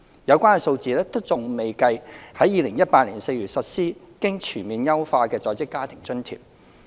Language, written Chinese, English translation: Cantonese, 有關數字尚未計及在2018年4月實施經全面優化的在職家庭津貼。, The relevant figure has not included the expenditure on the comprehensively enhanced Working Family Allowance WFA launched in April 2018